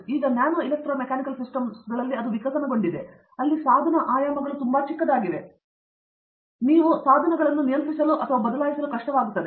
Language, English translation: Kannada, Now, that is evolved into nano electro mechanical systems, where the device dimensions are very small and you will be able to control or switch certain devices